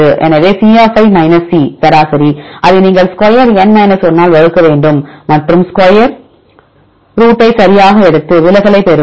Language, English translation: Tamil, So, C C average you have to square it right divide by n 1 and take the square root right we will get this deviation